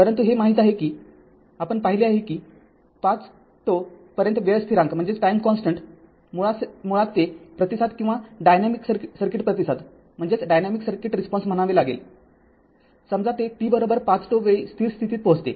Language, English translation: Marathi, But, you know that say for earlier we have seen that up to 5 tau time constant, basically that responses or the I could say that dynamic res[ponse] circuit responses, it reaches to the steady state right for t is equal to say 5 tau